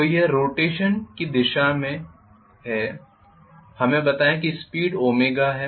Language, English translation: Hindi, So this is the direction of rotation let us say the speed is omega,ok